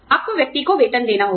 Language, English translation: Hindi, You have to give the person, salaries